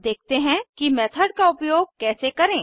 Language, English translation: Hindi, Lets see how to use a method